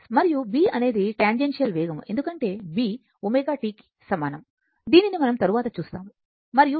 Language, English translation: Telugu, And B is the tangential velocity because B is equal to omega t, we will see later and this is sin theta